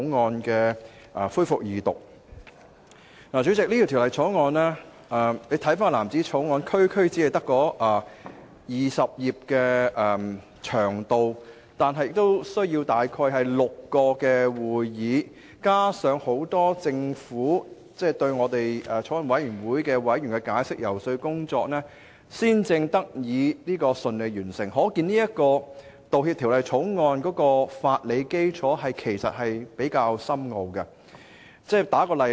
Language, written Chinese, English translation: Cantonese, 主席，回看有關的藍紙條例草案，其篇幅只有區區20頁，但卻需要前後召開了6次會議進行審議，加上政府官員向法案委員會委員作出了大量解釋和遊說，審議工作才得以順利完成，可見《條例草案》的法理基礎其實比較深奧。, President the Blue Bill concerned is just 20 pages long but totally six meetings were held for its scrutiny . Besides government officials must take great pains to brief and lobby Bills Committee members before the scrutiny work could be completed eventually . We can thus see that the legal principles behind the Bill are rather complex and difficult